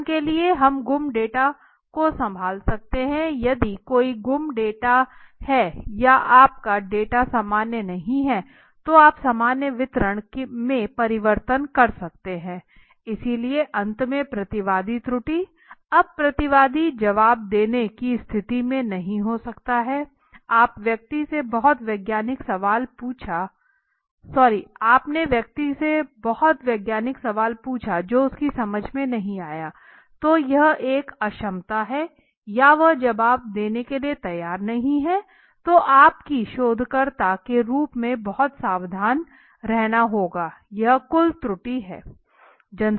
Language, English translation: Hindi, For example we can handle missing data if there is a suppose any missing data or your data is not normal is not behaving in the normal manner so you can you can convert into a normal distribution right so finally respondent error, now the respondent might not be in a position to answer you, you have asked about the very scientific question to a person who does not understand that so that is an inability or he is not willing to answer so you have to be very careful as a researcher okay so this is what we have said so the total error